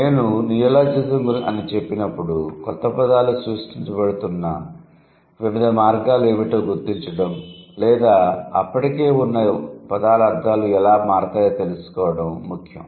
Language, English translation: Telugu, So, when I say neologism, our concern is to figure out what are the different ways by which new words are being created or the existing words they change their meaning